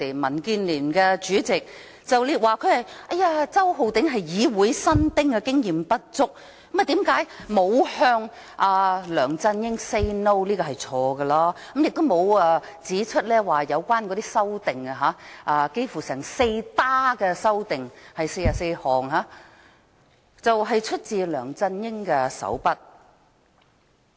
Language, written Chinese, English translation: Cantonese, 民建聯主席李慧琼議員很坦白地說：周浩鼎議員是議會新丁，經驗不足，所以沒有向梁振英 "say no"—— 她這樣說不對——周浩鼎議員沒有指出44項修訂出自梁振英的手筆。, Ms Starry LEE Chairman of the Democratic Alliance for the Betterment and Progress of Hong Kong DAB has been very frank in saying that Mr Holden CHOW is a newbie in this Council who lacks experience; therefore he did not say no to LEUNG Chun - ying . What she said was not right; Mr Holden CHOW had not pointed out that the 44 amendments were made by LEUNG Chun - ying